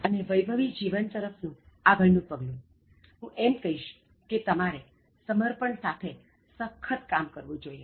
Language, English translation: Gujarati, And the next step towards a wealthy life, I would say that you should work with utmost devotion